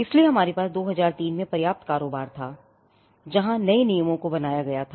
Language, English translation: Hindi, So, we had a substantial turnover in 2003, where new rules were frame